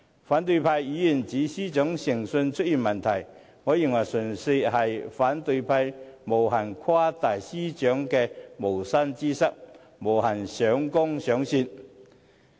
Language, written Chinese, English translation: Cantonese, 反對派議員指司長誠信出現問題，我認為純粹是反對派無限誇大司長的無心之失，無限上綱上線。, As for the opposition Members accusation about the integrity problem I think they are unscrupulously exaggerating the Secretary for Justices inadvertent mistakes making much ado about nothing